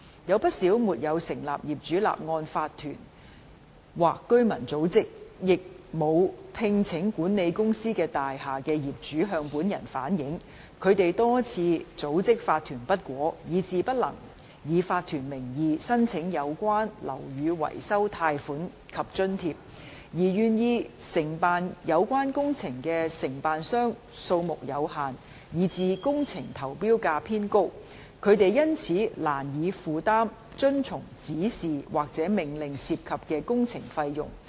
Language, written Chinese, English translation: Cantonese, 有不少沒有成立業主立案法團或居民組織，亦沒有聘請管理公司的大廈的業主向本人反映，他們多次組織法團不果，以致不能以法團名義申請有關的樓宇維修貸款及津貼，而願意承辦有關工程的承辦商數目有限，以致工程投標價偏高；他們因此難以負擔遵從指示或命令涉及的工程費用。, Quite a number of owners of buildings which have not formed any Owners Corporation OC or residents organization and have not hired any property management company have relayed to me that they have tried for a number of times but in vain to form OCs and thus they are unable to apply under the name of an OC for the relevant building maintenance loans and grants . In addition the number of contractors who are willing to undertake the works concerned is so limited that the tender prices for the works remain on the high side . As a result they are unable to afford the costs of works involved in complying with the Directions or Orders